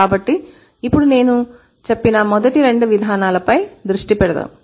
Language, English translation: Telugu, So, now let's focus on the first two mechanisms that I just said